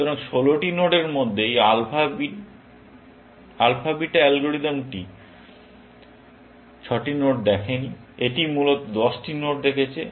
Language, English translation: Bengali, So, out of the 16 nodes, this alpha bit algorithm has not seen 6 nodes; it has seen only 10 nodes, essentially